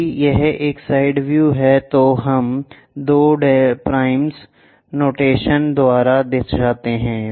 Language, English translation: Hindi, If it is side view, we show it by two prime notation